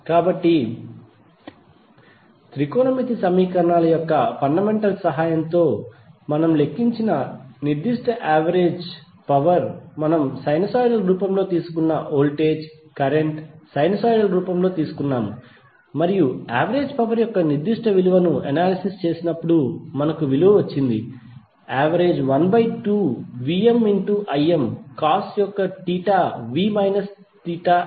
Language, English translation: Telugu, So that particular average power we calculated with the help of the fundamentals of the trigonometric equations that is the voltage we took in the sinusoidal form, current we took in the form of sinusoidal form and when we analyzed that particular value of average power we got value of average power as 1 by 2 VmIm cos of theta v minus theta i